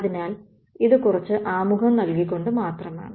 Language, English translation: Malayalam, So, this is just by means of giving some introduction to it